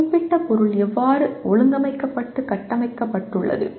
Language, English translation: Tamil, How a particular subject matter is organized and structured